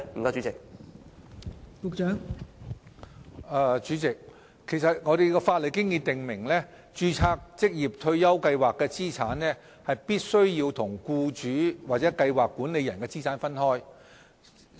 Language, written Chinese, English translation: Cantonese, 代理主席，法例已訂明註冊計劃的資產必須與僱主或計劃管理人的資產分開。, Deputy President as stipulated in law the assets under a registered scheme must be separated from the assets of the employer and the scheme administrator